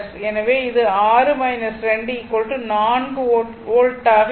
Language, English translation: Tamil, So, as v 0 plus is 4 volt we known